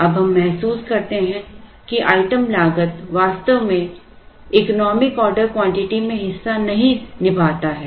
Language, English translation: Hindi, This is the item cost component we now realise that the item cost actually does not play a part in the economic order quantity